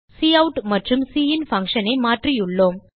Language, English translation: Tamil, And we have changed the cout and cin function